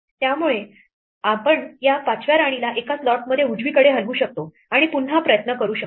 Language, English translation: Marathi, So, we can move this 5th queen to one slot to the right and try again